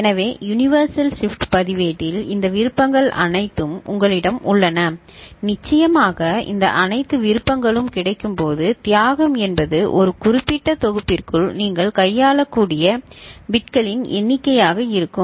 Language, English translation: Tamil, So, in the universal shift register, you have all these options available r ight and of course, when you make all these options available the sacrifice will be the number of bits you can handle within a particular package ok